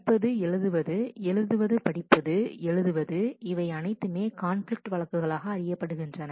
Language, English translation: Tamil, If it is read write, write read, write All of them are cases of conflict